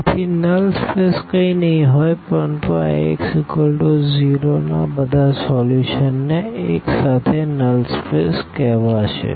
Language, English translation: Gujarati, So, null space will be nothing, but the solutions all solutions of this Ax is equal to 0 together will be called as null space